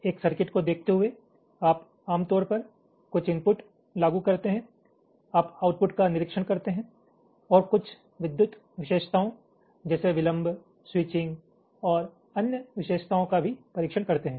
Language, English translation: Hindi, given a circuit, you typically you apply some inputs, you observe some outputs and also there are some electrical characteristics, like the delay, switching and other characteristics also you test